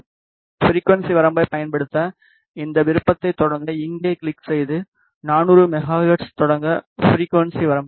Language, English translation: Tamil, In order to select the frequency range use this option start click here then give the start frequency range that is 400 megahertz